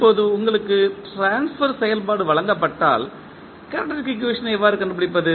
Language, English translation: Tamil, Now, if you are given the transfer function, how to find the characteristic equation